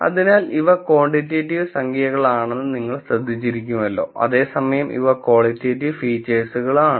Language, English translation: Malayalam, So, you notice that these are quantitative numbers while these are qualitative features